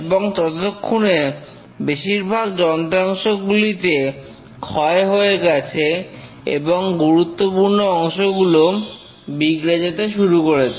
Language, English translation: Bengali, And here most of the components are worn out and the major components start failing